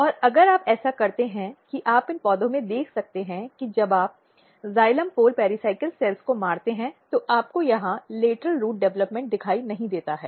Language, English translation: Hindi, And if you do that what you can see that in these plants when you kill the xylem pole pericycle cells, you do not see lateral root development here